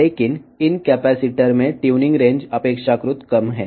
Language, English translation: Telugu, But, the tuning range in these capacitors is relatively less